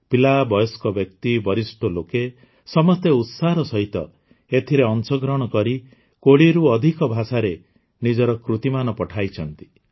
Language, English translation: Odia, Children, adults and the elderly enthusiastically participated and entries have been sent in more than 20 languages